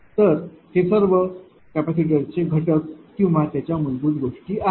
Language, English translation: Marathi, So, these are these are all the capacitor element or the basic thing